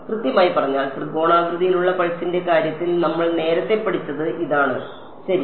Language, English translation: Malayalam, Exactly so, this is what we studied earlier in the case of triangular pulse right that is right